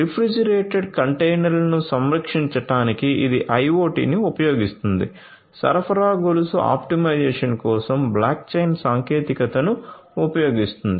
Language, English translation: Telugu, It uses IoT for preserving refrigerated containers uses blockchain technology for supply chain optimization